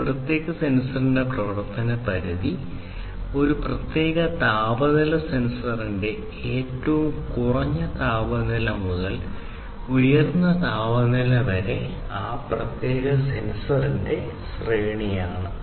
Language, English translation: Malayalam, How much is the range of operation of a particular sensor, lowest temperature to highest temperature of a particular temperature sensor is the range of that particular sensor, right